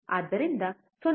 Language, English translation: Kannada, We apply 0